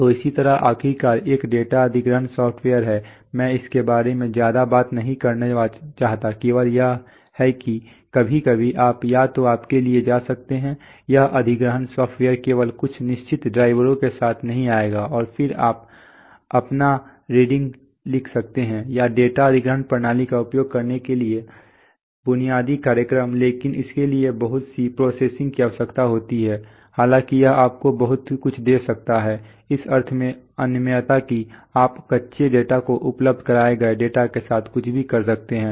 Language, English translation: Hindi, So similarly, finally is a data acquisition software, I do not want to talk much about it only thing is that sometimes you can either go for you cannot this acquisition software will only come up with some certain drivers and then you can write your own C or basic programs to use the data acquisition systems, but that requires a lot of programming although it can give you a lot of I mean inflexibility in the sense that you can do anything you want with the data the raw data is made available